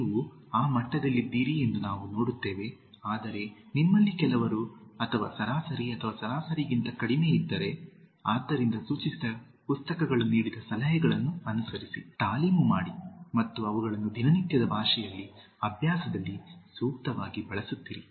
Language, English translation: Kannada, We see that you are in that level but, by chance if some of you or average or below average, so follow the suggestions given by the books suggested, workout and keep on using them appropriately in day to day language, practice